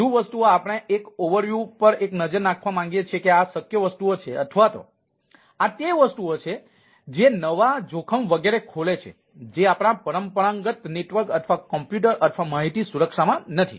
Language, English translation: Gujarati, we want to see a look at, an overview that these are the things possible, or this at the things which open up new risk, etcetera, which are not there in our traditional network or computer or information security